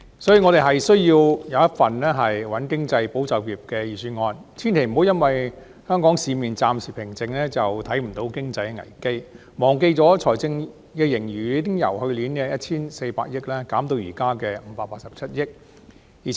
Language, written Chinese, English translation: Cantonese, 所以，我們需要一份"穩經濟、保就業"的預算案，千萬不要因為香港市面暫且平靜，便忽視經濟的危機、忘記財政盈餘已由去年的 1,400 億元減至現時的587億元。, For this reason we need a Budget that can stabilize the economy and safeguard jobs . We should not ignore the crises in our economy by reason of the transitory tranquillity of the Hong Kong markets nor should we forget that our fiscal surplus has dropped from last years 140 billion to this years 58.7 billion